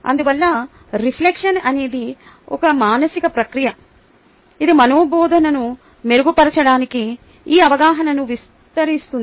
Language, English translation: Telugu, therefore, reflection is a mental process which expands this awareness so as to improve our teaching